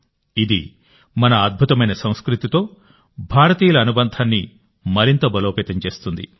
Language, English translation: Telugu, This will further strengthen the connection of us Indians with our glorious culture